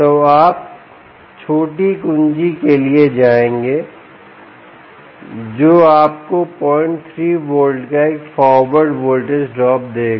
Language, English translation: Hindi, so you would go for short key, which would give you a forward voltage drop of zero point three volts